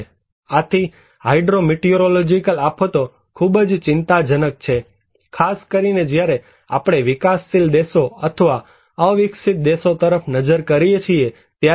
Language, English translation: Gujarati, So, hydro meteorological disasters are very critical, particularly when we are looking into developing countries or underdeveloped countries